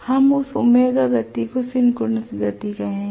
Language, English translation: Hindi, We call this speed omega as the synchronous speed